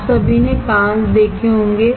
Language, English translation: Hindi, You all have seen glass